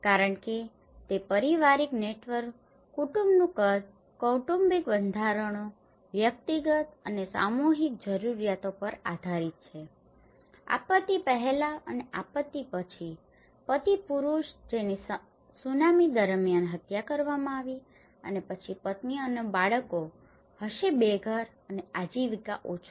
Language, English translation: Gujarati, Because, it is also based on the family networks, the family size, the family structures, the individual and collective needs vary, before disaster and after disaster a husband male he has been killed during a tsunami and then the wife and the children will be homeless and livelihood less